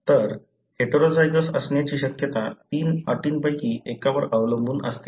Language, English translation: Marathi, So, the probability that she would be heterozygous depends on one of the three conditions